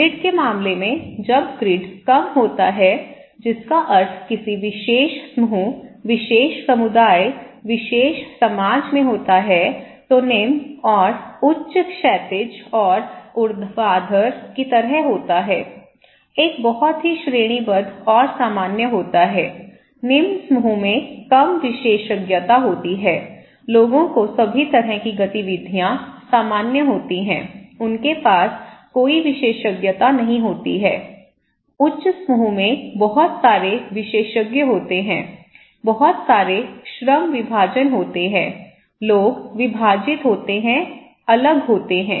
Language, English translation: Hindi, In case of grid, when the grid is low that means in a particular group, particular community, particular society, the low and high is like horizontal and vertical, one is very hierarchical one is very equal okay, specializations; in low group it’s very little, people are all have similar kind of activities, they don’t have any specializations, in high group there is lot of specializations, lot of division of labour, people are divided, segregated